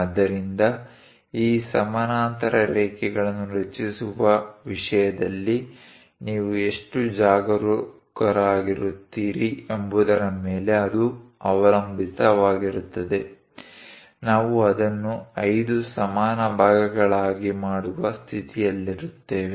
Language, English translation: Kannada, So, it depends on how careful you are in terms of constructing these parallel lines; we will be in a position to make it into 5 equal parts